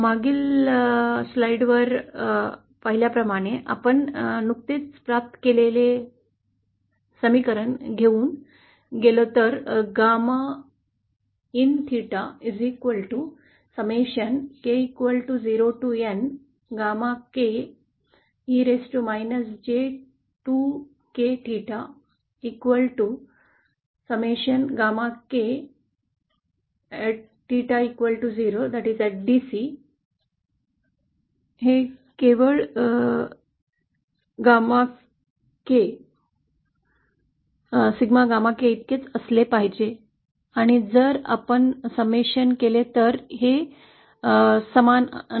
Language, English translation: Marathi, As we can see from the previous line, at bc if we go with the expression that we have just derived, gamma in theta equal sigma k 02n, gamma k e raised to –j2k theta, then at bc this is simply equal to gamma k